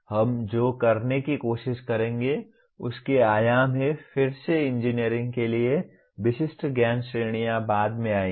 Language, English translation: Hindi, What we will try to do there are has dimension, again knowledge categories that are specific to engineering will come later